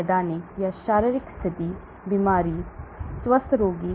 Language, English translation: Hindi, Clinical or physiological condition, sick patient, healthy patient